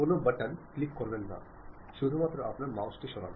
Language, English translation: Bengali, Do not click any button, just move your mouse